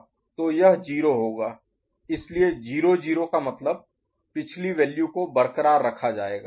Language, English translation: Hindi, So, 0 0 means previous value will be retained